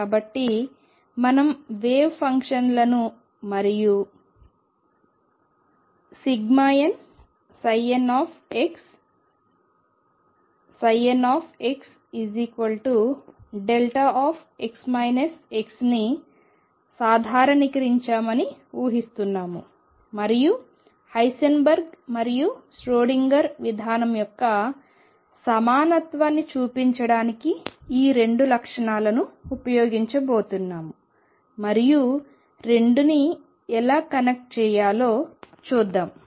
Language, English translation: Telugu, So, we are assuming we have normalized the wave functions and summation n psi n star x psi n x prime equals delta x minus x prime and we are going to use these 2 properties to show the equivalence of Heisenberg’s and Schrödinger’s approach and then see how to connect the 2